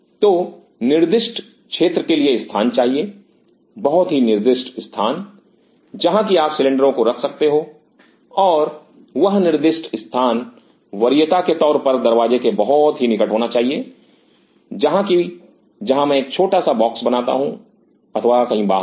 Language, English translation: Hindi, So, have to have a designated space, very designated space where you should keep the cylinders and that designated space should be preferably very close to the door, somewhere where I am putting a small box or somewhere just outside